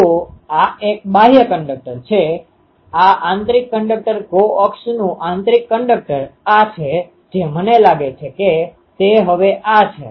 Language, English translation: Gujarati, So, this one is ah outer conductor this the inner conductor coax inner conductor this one I think this is ok now